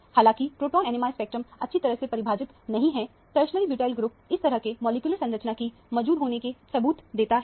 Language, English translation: Hindi, Although the proton NMR spectrum is not very well defined, the tertiary butyl group gives clue has to this kind of a molecular structure might be present in this